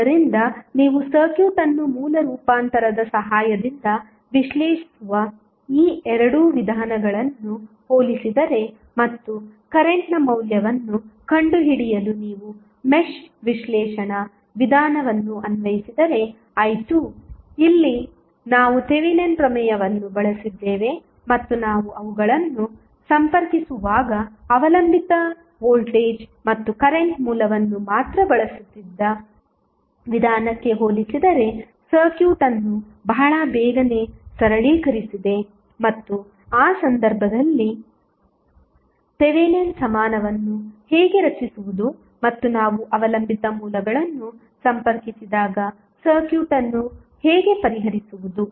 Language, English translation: Kannada, So, if you compare these two methods where you analyze the circuit with the help of source transformation and then you applied the mesh analysis method to find out the value of current i 2, here we used the Thevenin theorem and simplified the circuit very quickly as compare to the method where we were using the only the dependent voltage and current source when we connect them and how to create the Thevenin equivalent in that case and how to solve the circuit when we have dependent sources connected